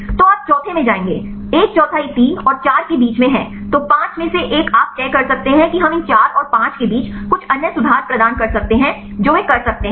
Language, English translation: Hindi, So, you will go to the fourth one fourth one is in between 3 and 4 then 5 one you can decide we can assign some other conformation between these 4 and 5 right they can do that